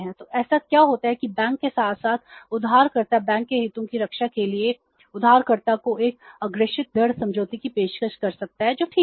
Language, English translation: Hindi, So, what happens that to safeguard the interest of the bank as well as the borrower, bank may offer a forward rate agreement to the borrower